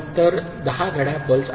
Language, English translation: Marathi, So, 10 clock pulses are there